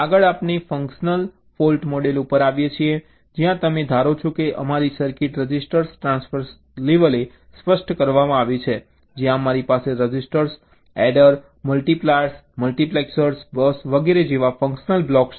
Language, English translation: Gujarati, next let us come to functional fault model, where you assume that our circuit is specified at the register transfer level, where we have functional blocks like registers, adder, multipliers, multiplexers, bus and so on